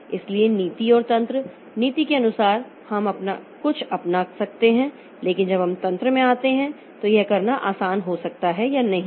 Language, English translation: Hindi, So, policy and mechanism, policy wise we may adopt something but when we come to the mechanism so it may or may not be easy to do it